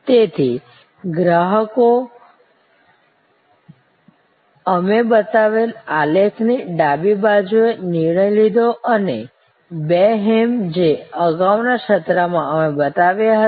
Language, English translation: Gujarati, So, customers purchased decision on the left side of that graph that we showed or the two hams that we showed in the previous session